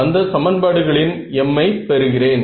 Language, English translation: Tamil, I am going to get another m equations